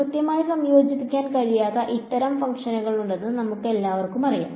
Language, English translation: Malayalam, We all know that there are these kinds of functions are there which cannot be integrated exactly right